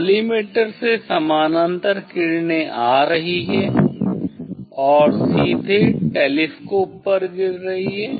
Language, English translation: Hindi, from collimator parallel rays are coming and directly falling on the telescope